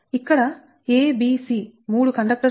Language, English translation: Telugu, here a, b, c, three conductors are there